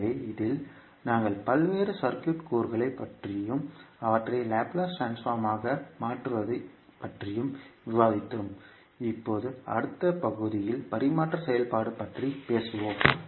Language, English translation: Tamil, So, in this we discussed about various circuit elements and how you can convert them into Laplace transform and we will talk about now the transfer function in the next class, thank you